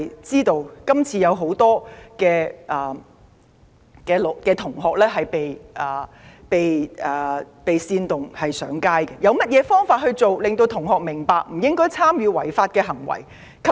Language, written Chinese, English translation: Cantonese, 眾所周知，很多同學是被煽動而上街的，有何方法令同學明白不應參與違法行為？, As is widely known many students who have taken to the streets are victims of incitement . Is there any way to make the students understand that they should not take part in unlawful acts?